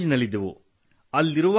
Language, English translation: Kannada, We were still in college